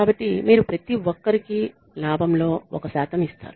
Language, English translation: Telugu, So, you give a percentage of the profit to everybody